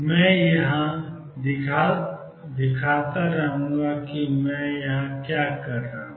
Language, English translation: Hindi, I will keep showing what I am doing here